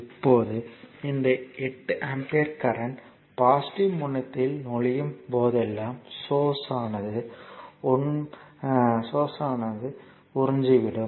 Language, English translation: Tamil, Now, this 8 ampere current is entering into the positive terminal, whenever it enters into the positive terminal means this source actually absorbing power